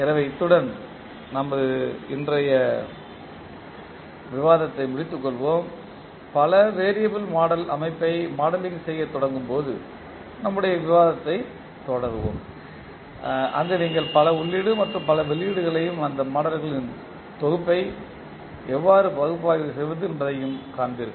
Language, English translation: Tamil, So with this we can close our today’s discussion, we will continue our discussion while we start modelling the multi variable system where you will see multiple input and multiple output and how you will analyze those set of model, thank you